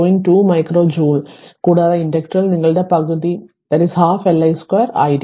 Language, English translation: Malayalam, 2 micro joules right and that in the inductor will be your half L i square